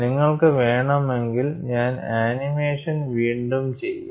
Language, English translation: Malayalam, If you want, I will again do redo the animation